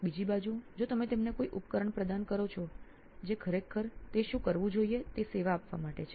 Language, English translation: Gujarati, On the other hand if you provide them a device which is actually meant to serve what it should do